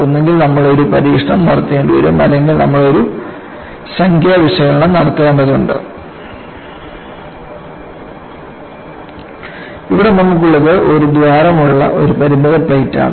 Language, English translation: Malayalam, You will have to either do an experiment, or you will have to do a numerical analysis So, here, what we have is the finite plate with a hole